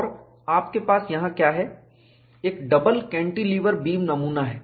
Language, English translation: Hindi, And what you have here, is a double cantilever beam specimen